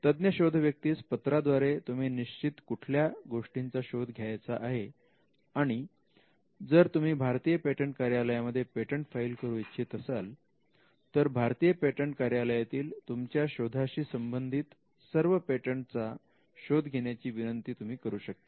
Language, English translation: Marathi, Now this is done by writing to the searcher stating what needs to be searched, if it is the Indian patent office you would say that this invention is to be filed in the Indian patent office, and you would want to search all the patents in the Indian patent office